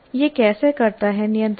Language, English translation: Hindi, But how does it control